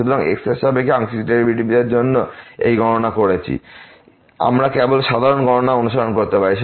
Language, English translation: Bengali, So, just doing this calculation for a partial derivative with respect to , we can just follow the usual calculations